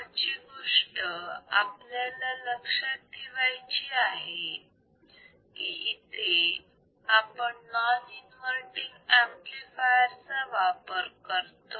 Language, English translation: Marathi, ; next one we have to remember is it uses a non inverting amplifier